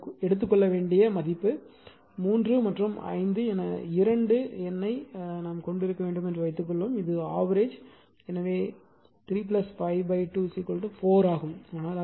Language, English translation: Tamil, So, this is the value you have to taken for example, suppose you have you have a 2 number say 3 and 5 it is arithmetic mean is 3 by 5 by 2 is equal to 4 right